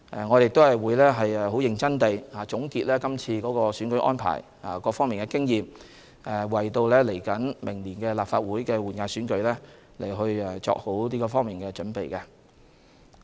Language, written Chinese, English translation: Cantonese, 我亦會很認真地總結今次的選舉安排及各方面的經驗，為明年立法會換屆選舉做好準備。, We will review in earnest the electoral arrangements of the DC Election and consolidate the experience gained from various aspects so that proper preparations can be made for the Legislative Council General Election next year